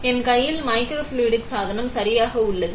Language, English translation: Tamil, So, I have the microfluidic device in my hand correct